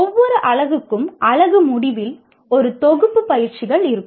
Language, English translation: Tamil, Each unit will have a set of exercises at the end of unit